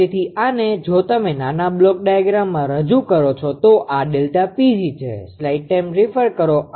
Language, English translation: Gujarati, So, this one; this one if you represent in a small block diagram; so, this is delta P g